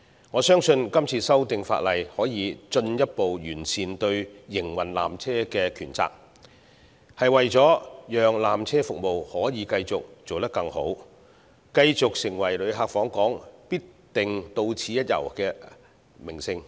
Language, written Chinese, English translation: Cantonese, 我相信今次的法例修訂可進一步完善纜車營運的權責，其目的是為了讓纜車服務可繼續做得更好，讓纜車繼續成為旅客訪港時必定到此一遊的名勝。, I believe that the legislative amendments will further clarify the rights and obligations involved in the operation of the peak tramway with a view to ensuring continuous improvements in the peak tram services so that the peak tram will continue to be a must - go attraction for visitors to Hong Kong